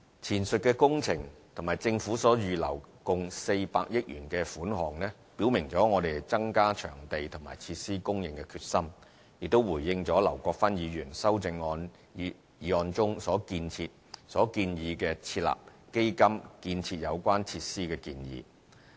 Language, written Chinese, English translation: Cantonese, 前述工程及政府所預留共400億元的款項，表明了我們增加場地及設施供應的決心，亦回應了劉國勳議員修正案中設立基金建設有關設施的建議。, The works mentioned above and the 40 billion set aside by the Government show that we are committed to increasing venue and facility provision . They are also a response to Mr LAU Kwok - fans amendment which proposes to establish a fund for constructing relevant facilities